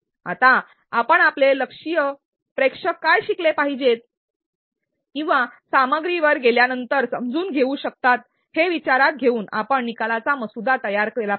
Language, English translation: Marathi, Now, you draft the learning outcomes considering what your target audience is supposed to learn or be able to do after going to the content